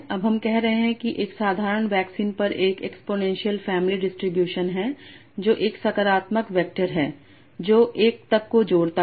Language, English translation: Hindi, So now we are saying it's an exponential family distribution over the simplex that is a positive vectors that add up to 1